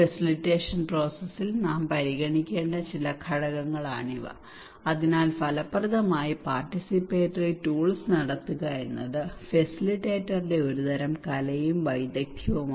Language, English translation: Malayalam, These are some of the components we should consider in the facilitation process so it is a kind of art and skill of the facilitator to conduct effectively participatory tools